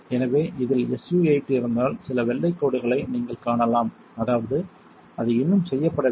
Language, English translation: Tamil, So, if this had SU 8 on it you might see some white streaks; that means, it is not done yet